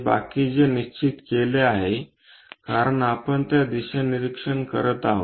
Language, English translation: Marathi, The rest which is fixed, because we are observing in that direction